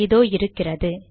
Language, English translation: Tamil, Here it is